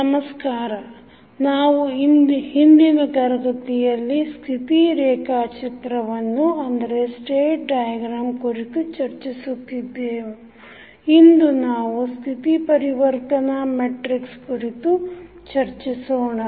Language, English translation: Kannada, Namaskar, so in last class we were discussing about the state diagram, today we will discuss about the State Transition Matrix